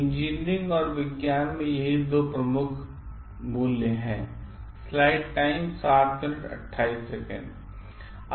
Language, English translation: Hindi, These are the key values in engineering and science